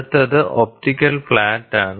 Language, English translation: Malayalam, So, next one is optical flat